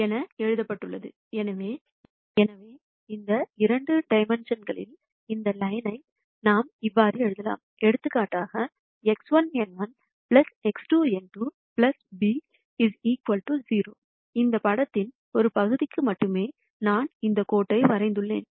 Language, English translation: Tamil, So, for, in this two dimensions we could write this line as; for example, X 1 n 1 plus X 2 n 2 plus b equal 0, while I have drawn this line only for part of this picture